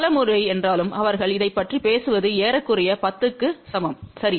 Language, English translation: Tamil, The many a times, they do talk about this is approximately equal to 10, ok